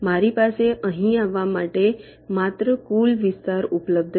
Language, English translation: Gujarati, i only have the total area available to be here